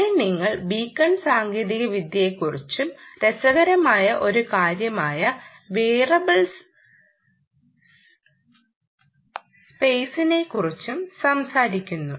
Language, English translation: Malayalam, ah, here you talk about beacon technology and the variable space, which is an interesting thing